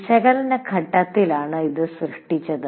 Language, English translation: Malayalam, We have created this in the analysis phase